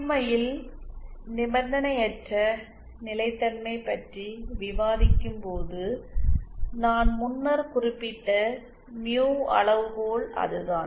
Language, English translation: Tamil, In fact the mu criteria that I have mentioned earlier while discussing unconditional stability is that